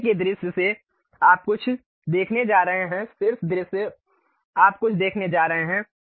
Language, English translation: Hindi, From bottom view you are going to see something; top view you are going to see something